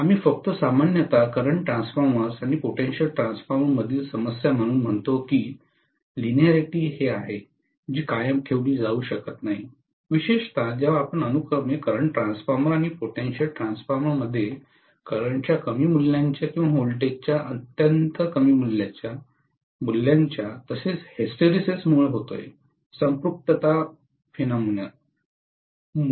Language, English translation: Marathi, Only thing normally we say as a problem in current transformer and potential transformers are the linearity may not be maintained especially when you come to very very low values of current and low values of voltages in current transformer and potential transformer respectively, because of hysteresis, because of saturation phenomena